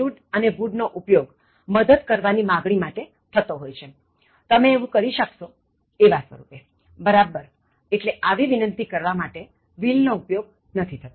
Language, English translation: Gujarati, Now, can, could, shall, should and would are all used to offer help, would you mind be doing this, okay, when you offer help, but not will, will is not used when you are offering help